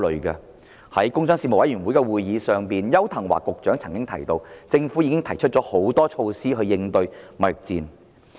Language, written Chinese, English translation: Cantonese, 在工商事務委員會會議上，商務及經濟發展局局長邱騰華曾經提到，政府已提出多項措施應對貿易戰。, At the meeting of the Panel on Commerce and Industry Secretary for Commerce and Economic Development Edward YAU mentioned that the Government had introduced a number of measures to deal with the trade war